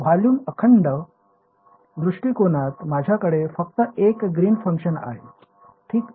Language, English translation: Marathi, In the volume integral approach I have just one Green’s function alright ok